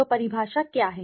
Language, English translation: Hindi, So, what is the definition